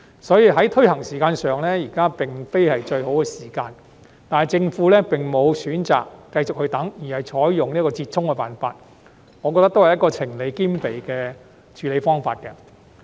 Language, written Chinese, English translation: Cantonese, 因此，在推行時間上，現在並非最佳時機，但政府並沒有選擇等待，而是採用這個折衷的辦法，我認為這也是情理兼備的處理方式。, Therefore now is not the best time to implement the Bill . But instead of waiting the Government has adopted a stopgap approach which I think is a reasonable and sensible way of handling